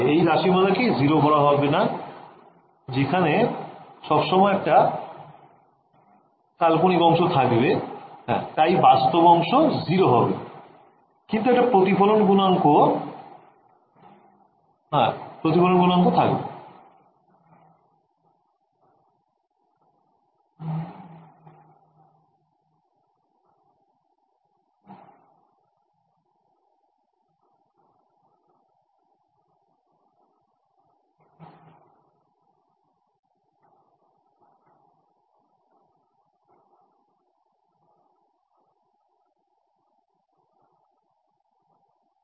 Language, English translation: Bengali, I cannot make this expression 0 how will I make this expression 0 there is always an imaginary part I can be the real part 0, but the reflection coefficient will always be there